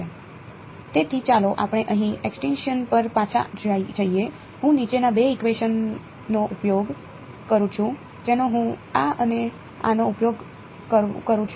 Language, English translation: Gujarati, So, let us go back to the expression over here, I use the bottom 2 equations I use this and this